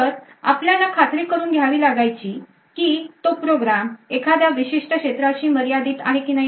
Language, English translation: Marathi, So, what we needed to ensure was that we needed to ensure that this particular program is confined to a specific area